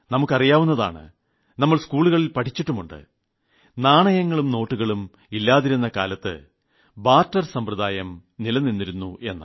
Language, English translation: Malayalam, We all know and we were taught about it in school that there was a time when there were no coins, no currency notes; there was a barter system